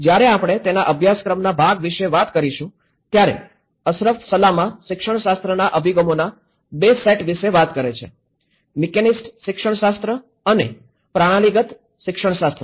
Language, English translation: Gujarati, When we talk about the curriculum part of it; Ashraf Salama talks about 2 sets of pedagogy approaches; mechanist pedagogy and the systemic pedagogy